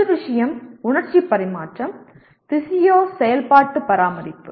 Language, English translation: Tamil, First thing is sensory transmission, physio functional maintenance